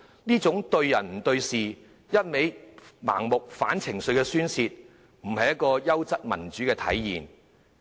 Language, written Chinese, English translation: Cantonese, 這種對人不對事、盲目反對的情緒宣泄，並非優質民主的體現。, Such personal attack and venting of irrational negative sentiments are definitely not a manifestation of quality democracy